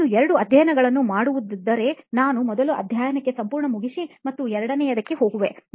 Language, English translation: Kannada, So if I have two chapters to do, I will go thoroughly to first chapter complete and second